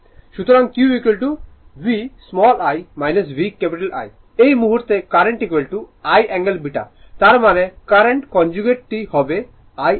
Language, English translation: Bengali, So, Q is equal to V dash I minus VI dash right now current is equal to I angle beta; that means, current conjugate will be I angle